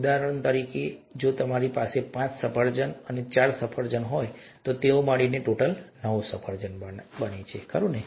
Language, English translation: Gujarati, For example, if you have five apples and four apples, together they make nine apples, right